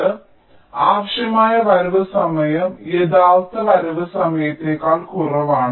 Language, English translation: Malayalam, so the required arrival time is less than the actual arrival time